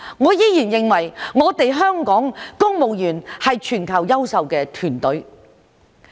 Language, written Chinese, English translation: Cantonese, 我依然認為香港公務員是全球優秀的團隊。, I still think that the Civil Service in Hong Kong is the best in the world